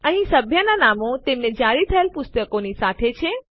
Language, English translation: Gujarati, Here are the member names, along with the books that were issued to them